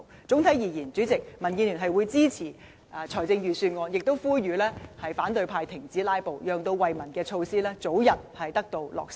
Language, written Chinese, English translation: Cantonese, 整體而言，主席，民建聯會支持預算案，亦呼籲反對派停止"拉布"，讓惠民措施早日得以落實。, Generally speaking President DAB supports the Budget . We urge the opposition camp to stop filibustering to allow the early implementation of measures benefiting the people